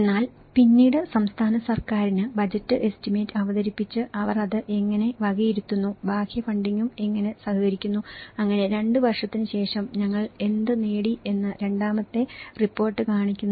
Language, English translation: Malayalam, But then when the budge estimate has been presented to the state government and how they allocate it, how the external funding is also collaborated with it, so after 2 years the second report, which I showed you, how what we have achieved